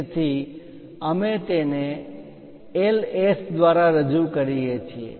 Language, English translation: Gujarati, So, we represent it by Ls